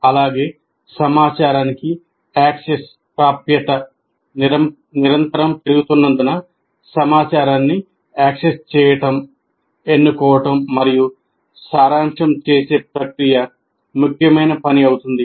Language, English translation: Telugu, And also as access to information is continuously increasing, the process of accessing, choosing, and distilling information will become a major task